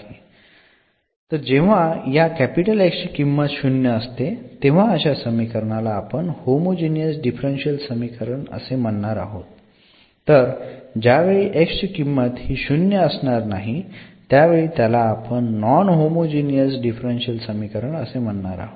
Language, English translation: Marathi, So, when this X is not 0 we call the non homogeneous equation, when this X is 0 we call as homogeneous differential equation